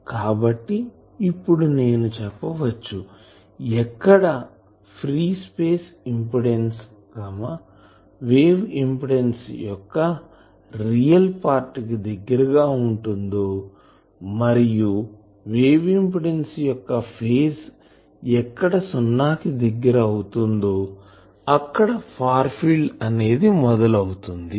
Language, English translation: Telugu, So, I can say that the distance where the real part of wave impedance approaches the free space wave impedance and phase of wave impedance approaches 0 that is the start of a far field